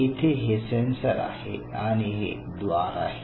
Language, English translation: Marathi, And here I have a sensor and here I have a gate